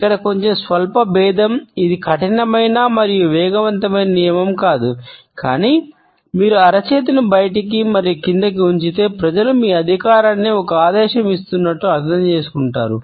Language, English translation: Telugu, Just a little bit of nuance here this is not a hard and fast rule, but if you place palm out and down, people tend to understand this as more authoritarian like you are giving a command